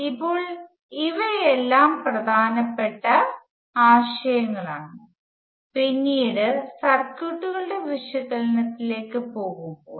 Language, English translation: Malayalam, Now these are all important concepts, when we later go to analysis of circuits